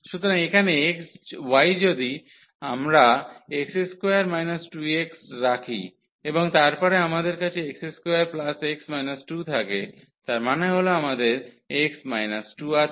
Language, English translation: Bengali, So, here y if we put x square is equal to 2 minus x and then we have a x square plus x minus 2; that means, we have x minus 2 and